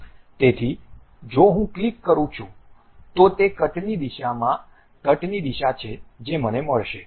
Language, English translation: Gujarati, So, if I click that this is the direction of cut what I am going to have